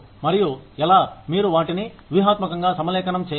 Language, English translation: Telugu, And, how you need to keep them, strategically aligned